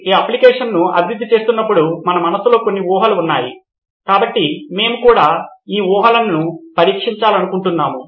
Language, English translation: Telugu, I have a few assumptions we’ve put in our mind while developing this application, so we would also like to test these assumptions